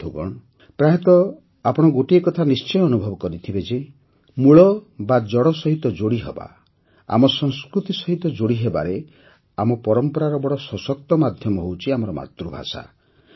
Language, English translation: Odia, Friends, you must have often experienced one thing, in order to connect with the roots, to connect with our culture, our tradition, there's is a very powerful medium our mother tongue